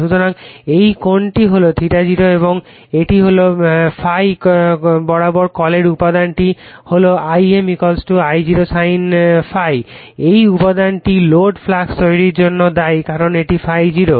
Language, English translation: Bengali, So, this angle is ∅0 and it is your what your call component along ∅ is I m = your I0 sin ∅, this component is responsible for producing that your no load flux because this is ∅0